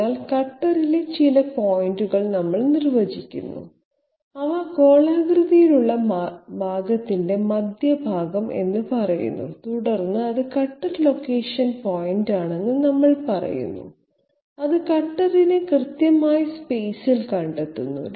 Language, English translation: Malayalam, So we define certain points on the cutter which are you know specific points say the centre of the spherical portion and then we say it is a cutter location point, which locates the cutter exactly in space